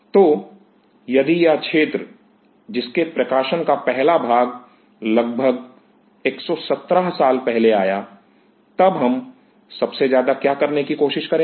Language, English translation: Hindi, So, if this field which has its first set of publication coming almost 117 years back, then for most what we will try to do